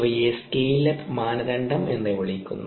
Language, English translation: Malayalam, these are called scale up criteria